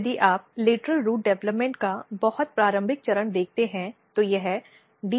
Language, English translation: Hindi, And if you look the very early stage of lateral root development you can see here